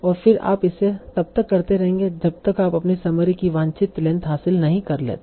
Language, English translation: Hindi, And you will stop whenever you have achieved the desired length of your summary